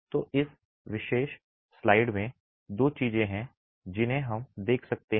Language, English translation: Hindi, So, in this particular slide there are two things that we can look at